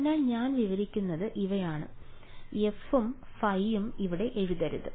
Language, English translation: Malayalam, So, what I am describing is that these are so let me not write f and phi yet over here